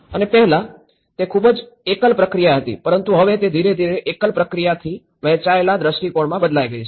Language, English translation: Gujarati, And earlier, it was very singular process but now it has gradually changed from a singular to the shared visions